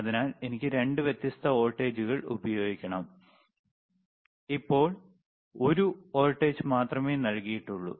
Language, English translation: Malayalam, So, I have to apply 2 different voltages right, now only one voltage is given right one signal is given,